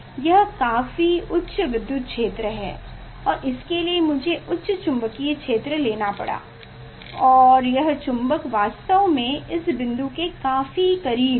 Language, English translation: Hindi, this is this quite high electric field and for that I have to take higher magnetic field and this magnet is really it is a close up to this point